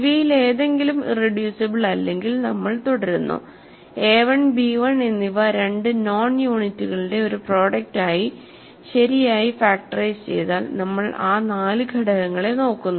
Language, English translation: Malayalam, If either of them is not irreducible we continue right, a 1 factors properly as a product of two non units b 1 factors properly as a product of non units and we look at those four elements